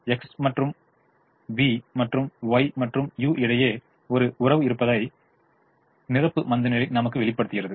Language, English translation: Tamil, complimentary slackness also tells us that there is a relationship between x and v and y and u